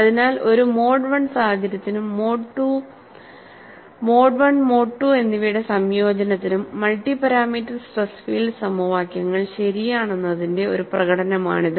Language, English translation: Malayalam, So, this is a demonstration that the multi parameters stress field equations are indeed correct for a mode 1 situation, as far as a combination of mode 1 and mode 2